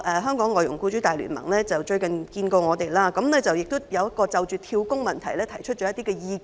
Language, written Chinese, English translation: Cantonese, 香港外傭僱主大聯盟最近與我們會面，就"跳工"的問題提出了一些意見。, The Alliance has recently met with us to raise some views on the problem of job - hopping